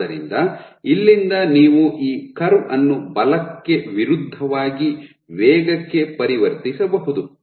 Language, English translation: Kannada, So, from here you can generate you can convert this curve into force versus velocity